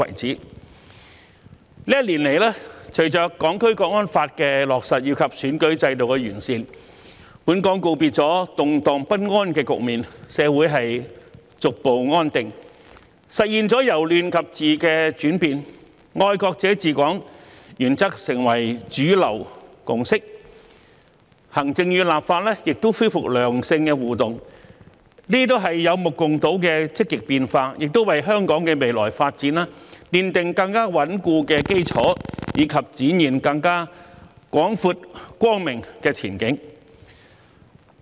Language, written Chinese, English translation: Cantonese, 這一年來，隨着《香港國安法》的落實及選舉制度的完善，本港告別了動盪不安的局面，社會逐步回復安定，實現了由亂及治的轉變，"愛國者治港"原則成為主流共識，行政與立法亦恢復良性互動，這些都是有目共睹的積極變化，也為香港的未來發展奠定更穩固的基礎，以及展現更廣闊光明的前景。, Throughout the year the implementation of the National Security Law and the improvement to the electoral system have put an end to the turmoil and unrest and gradually restored social stability in Hong Kong bringing about a transition from chaos to order . The principle of patriots administering Hong Kong has become a mainstream consensus . The executive authorities and the legislature have also resumed constructive interaction